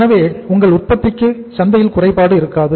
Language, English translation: Tamil, There is no shortage of your product in the market